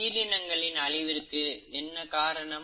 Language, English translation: Tamil, What is the cause of extinction